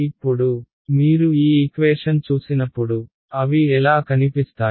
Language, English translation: Telugu, Now, when you look at these equations, what do they what do they look like